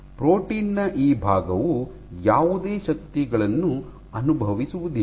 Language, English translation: Kannada, So, this portion of the protein will not experience any forces